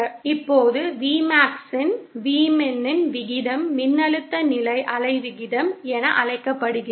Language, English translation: Tamil, Now the ratio of Vmax to Vmin is what is known as voltage standing wave ratio